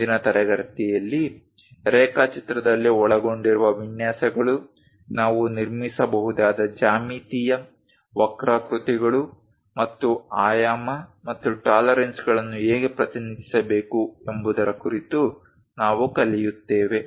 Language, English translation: Kannada, In the next class, we will learn about layouts involved for drawing, what are the geometrical curves we can construct, how to represent dimensioning and tolerances